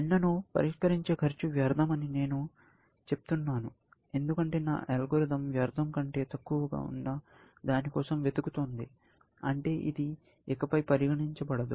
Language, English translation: Telugu, I simply say that cost of solving n is futility, because my algorithm is looking for something which is less than futility, which means, this will never be considered henceforth, essentially